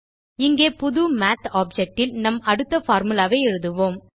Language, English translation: Tamil, Let us write our next formula in a new Math object here